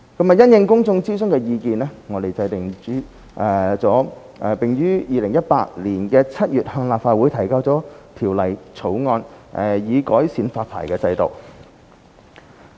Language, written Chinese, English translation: Cantonese, 因應公眾諮詢的意見，我們制定了並於2018年7月向立法會提交《條例草案》，以改善發牌制度。, In response to the opinions gauged in the public consultation we drew up the Bill and submitted it to the Legislative Council in July 2018 with a view to improving the existing licensing regime